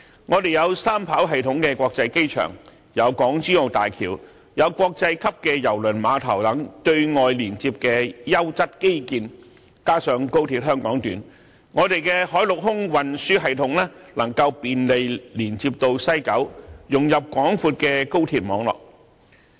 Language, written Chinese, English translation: Cantonese, 我們有三跑道系統的國際機場、港珠澳大橋、國際級的郵輪碼頭等對外連接的優質基建，加上高鐵香港段，海陸空運輸系統能夠便利連接到西九，融入廣闊的高鐵網絡。, With the three - runway system international airport HZMB a world - class cruise terminal and other high - quality infrastructure for external connections coupled with the Hong Kong section of XRL the land sea and air transportation system can be easily connected to West Kowloon and integrated with the vast XRL network